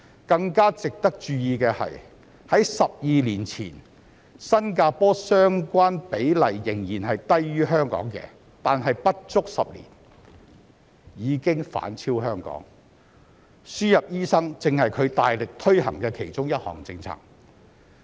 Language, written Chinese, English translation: Cantonese, 更值得注意的是，在12年前新加坡相關比例仍然是低於香港的，但在不足10年間已經反勝香港，輸入醫生正是它大力推行的其中一項政策。, It is more noteworthy that 12 years ago the ratio in Singapore was still lower than that in Hong Kong but within less than 10 years it has eclipsed Hong Kong instead and the importation of doctors is exactly one measure it has vigorously pursued